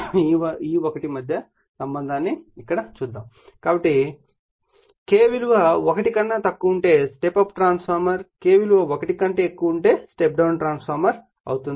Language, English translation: Telugu, So, will be the here only right so, if K less than that is step up transformer if K greater than that is step down transformer